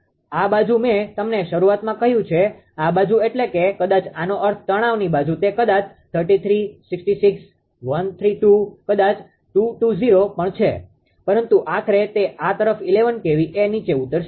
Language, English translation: Gujarati, And this side I have told you at the beginning this side maybe you are on this side this side maybe I mean this heightens inside it maybe 33, maybe 66, maybe 130, maybe even 220 right , but ultimately it is stepping down to this side is 11 kv